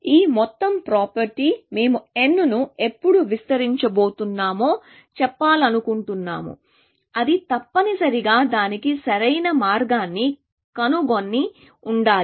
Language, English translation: Telugu, This whole property, we want to say that when is about to expand n, it must have found an optimal path to that, essentially